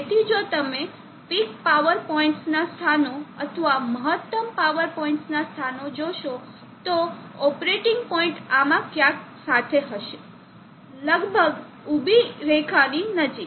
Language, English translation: Gujarati, So if you see the locus of the peak power points or the locus of the maximum power points, the operating points will be along somewhere in this, almost vertical near vertical line